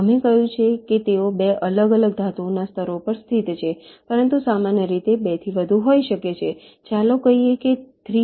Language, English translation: Gujarati, we told that they are located on two different metal layers, but in general there can be more than two